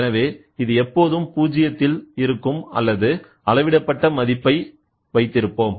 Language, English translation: Tamil, So, it is always in 0; or you try to put a measured value